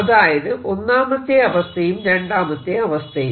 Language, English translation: Malayalam, so this is first situation, this is a second situation